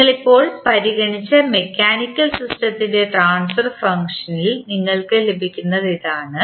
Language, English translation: Malayalam, So, this is what you get the transfer function of the mechanical system which you just considered